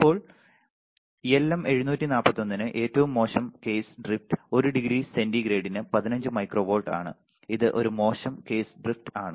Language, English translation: Malayalam, Now, for LM741 the worst case drift is 15 micro volts per degree centigrade this is a worst case drift